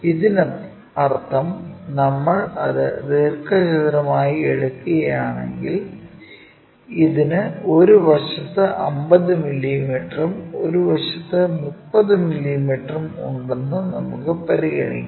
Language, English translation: Malayalam, That means, if we are taking this one as the rectangle, let us consider it has maybe 50 mm on one side, 30 mm on one side